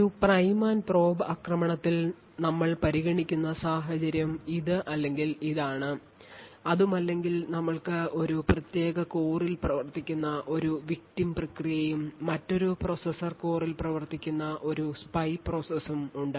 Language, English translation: Malayalam, In a prime and probe attack the scenario we are considering is either this or this or we have a victim process running in a particular core and a spy process running in another processor core, the both the victim and spy are sharing the same cache memory